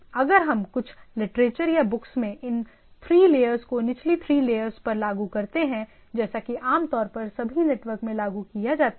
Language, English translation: Hindi, So, this if we in some of the literature or some of the books we refer this 3 layers at the lower 3 layers at typically implemented in all network, mostly implemented in all network nodes